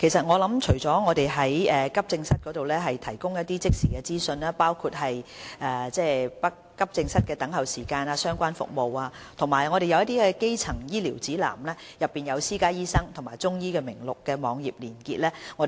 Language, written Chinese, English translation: Cantonese, 我們除了在急症室提供一些即時資訊，包括急症室的等候時間及相關服務的資料，亦有提供基層醫療指南，內有私家醫生及中醫名錄的網頁連結。, Besides giving the latest information about waiting time and various related services in AE departments we also provide the Primary Care Directory which contains hyperlinks to private doctors and Chinese medical practitioners